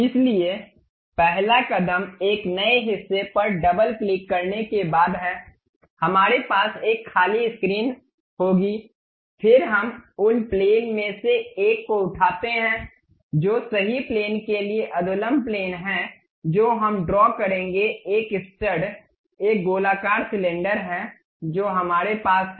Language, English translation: Hindi, So, the first step is after double clicking a new part, we will have a blank screen, then we pick a one of the plane perhaps right plane normal to right plane we will draw a stud is basically a circular cylinder we have